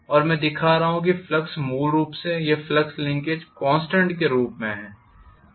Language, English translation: Hindi, And I am showing that the flux is basically remaining or flux linkage is remaining as a constant